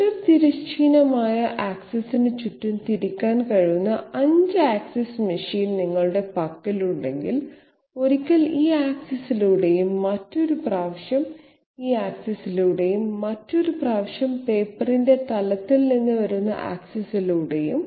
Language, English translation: Malayalam, If you have a 5 axis machine where the cutter can be rotated about horizontal axis, once this way and once the other way okay, once along this axis and another time along the axis coming out of the plane of the paper